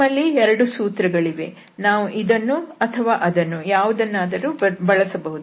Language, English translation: Kannada, So, we have the two formula, either this can be used or this can be used